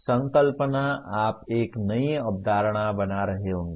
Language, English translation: Hindi, Conceptualize, you may be creating a new concept